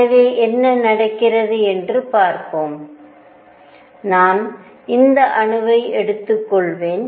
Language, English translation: Tamil, So, let us see what happens, I will take this atom